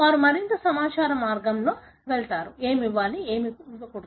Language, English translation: Telugu, So, they go for more informed way, what should be given, what should not be given